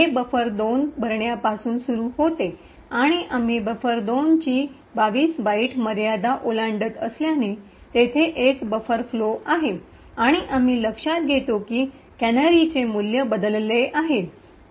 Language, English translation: Marathi, It starts off with filling buffer 2 and since we are exceeding the 22 byte limit of buffer 2 there is a buffer overflow and we note that the canary value gets changed